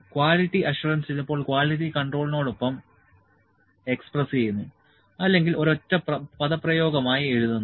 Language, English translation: Malayalam, Quality assurance is sometime expressed together with quality control or as a single expression